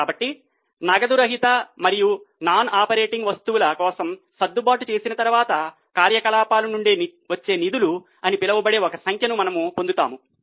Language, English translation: Telugu, So, after making the adjustments for non cash and non operating items, we get a figure which is known as funds from operations